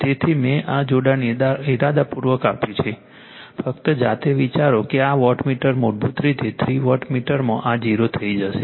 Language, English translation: Gujarati, So, this connection I have given intentionally just you think yourself that this wattmeter will it basically, 0 if you go for a three wattmeter